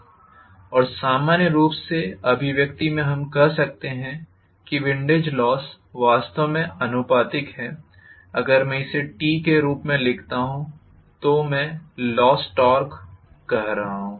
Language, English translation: Hindi, And in general empirically the expression we can say the windage loss is actually proportional to, if I write it in the form of torque, so T windage I am saying, the loss torque associated with windage